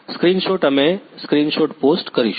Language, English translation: Gujarati, screenshot, we will post a screenshot